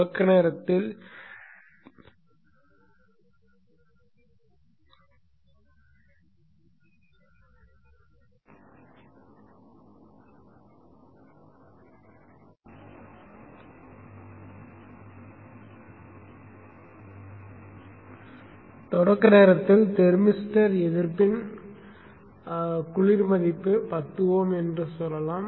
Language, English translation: Tamil, So let us say at the time of start up the cold value of the thermal thermoster resistance is 10 oms